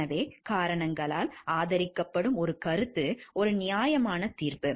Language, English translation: Tamil, So, an opinion that is supported by reasons is a reasoned judgment